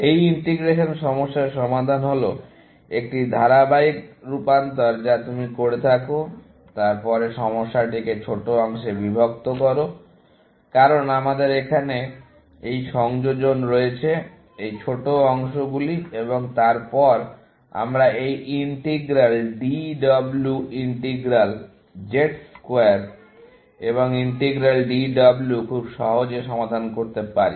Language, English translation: Bengali, The solution to this integration problem is a series of transformations that you do, followed by, breaking up the problem into smaller parts, because we have this addition here; these smaller parts, and then, we can solve this integral DW integral Z square and integral DW, very trivially